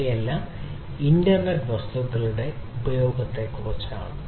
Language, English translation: Malayalam, These are all about the use of internet of things